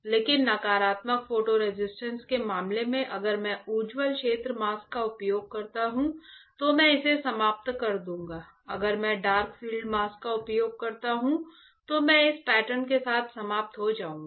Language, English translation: Hindi, But in case of negative photo resist if I use bright field mask, I will end up with this; if I use a dark field mask, I will end up with this pattern